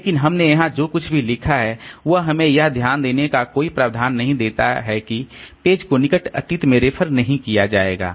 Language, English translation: Hindi, But whatever we have written here, so it does not give us any provision to note that the page I has not been referred to in the near past